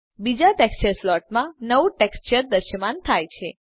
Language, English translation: Gujarati, A new texture has appeared in the second texture slot